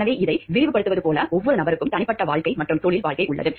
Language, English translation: Tamil, So, like elaboration of this is like every person has a personal life and has a professional life